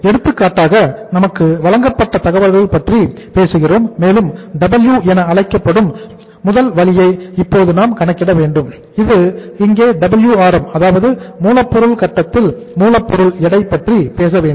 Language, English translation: Tamil, Say for example we talk about the the information which is given to us and we have to now calculate the first way that is called as W uh this we have to talk here as that say Wrm, weight at the raw material stage